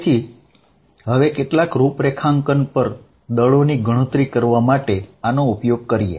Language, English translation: Gujarati, So, now let use this to calculate forces on some configuration